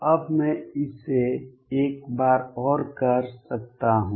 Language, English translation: Hindi, Now, I can do it one more time